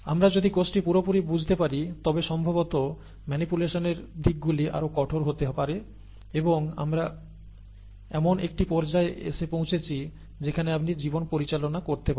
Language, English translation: Bengali, Once we understand the cell completely then possibly the manipulations aspects can get more rigourous and we have come to a stage where you could manipulate life